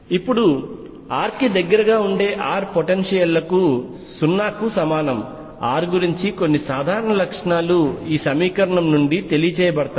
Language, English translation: Telugu, Now for potentials that r regular near r equals 0 some general properties about r can be inform from this equation